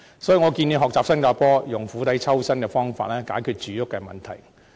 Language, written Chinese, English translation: Cantonese, 所以，我建議學習新加坡，以釜底抽薪的方法解決住屋問題。, Hence I suggest that we should follow the example of Singapore and work on a fundamental solution to our housing problem